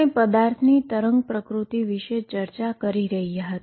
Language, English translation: Gujarati, We have been discussing the wave nature of matter